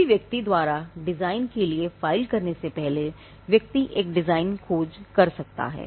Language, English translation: Hindi, Before a person files for a design, the person can do a design search